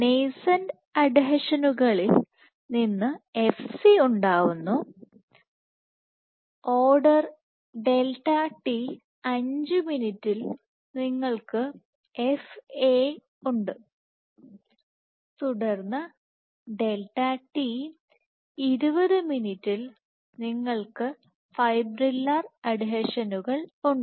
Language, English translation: Malayalam, So, this is right nascent adhesions to FCS, delta t is order 5 minutes, you have FAS and then order 20 minute you have fibrillar adhesions